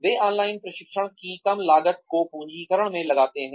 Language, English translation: Hindi, They are capitalizing on, reduced costs of online training